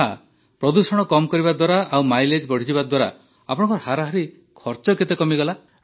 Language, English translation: Odia, Ok, so if we reduce pollution and increase mileage, how much is the average money that can be saved